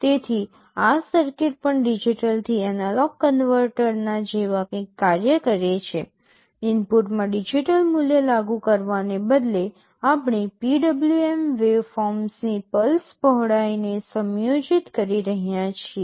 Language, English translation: Gujarati, So, this circuit also works something like a digital to analog converter, just instead of applying a digital value in the input we are adjusting the pulse width of the PWM waveform